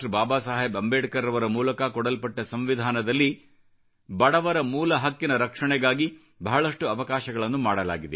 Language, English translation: Kannada, Baba Saheb Ambedkar, many provisions were inserted to protect the fundamental rights of the poor